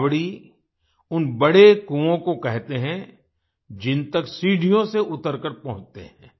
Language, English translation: Hindi, The Baolis are those big wells which are reached by descending stairs